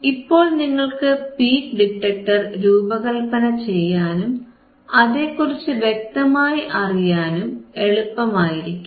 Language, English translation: Malayalam, So, now, it is very easy right very easy to design this peak detector it is very easy and to understand the peak detector